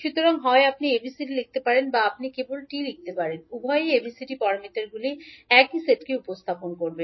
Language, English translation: Bengali, So, either you can write ABCD or you can simply write T, both will represent the same set of ABCD parameters